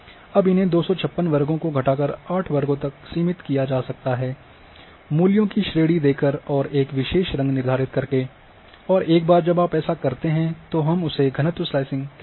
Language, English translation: Hindi, Now you these 256 classes you can reduce to 8 classes by giving a range of values and assigning a colour and once you do it we say is slicing or density slicing